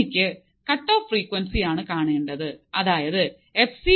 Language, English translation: Malayalam, I have to find the cutoff frequency; that means, I have to find fc